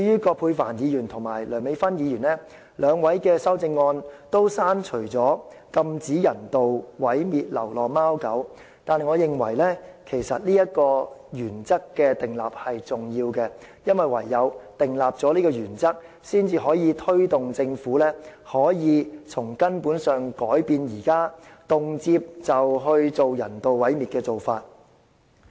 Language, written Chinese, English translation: Cantonese, 葛珮帆議員和梁美芬議員的修正案均刪除"禁止人道毀滅流浪貓狗"，但我認為訂立這個原則是重要的，因為唯有訂立這個原則，才能推動政府從根本上改變現時動輒進行人道毀滅的做法。, Both Dr Elizabeth QUAT and Dr Priscilla LEUNG have deleted the words prohibit the euthanization of stray cats and dogs in their amendments but I think it is an important principle to set down . The Government will fundamentally change its current practice of arbitrarily euthanizing animals only if this principle is established